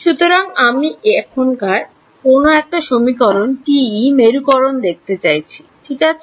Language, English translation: Bengali, So, the TE polarization I am just looking at one of these equations ok